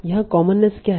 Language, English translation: Hindi, So this is commonness